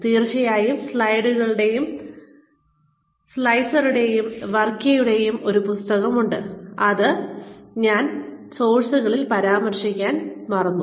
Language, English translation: Malayalam, And of course there is a book by Dessler and Varkkey that I forgot to mention in the sources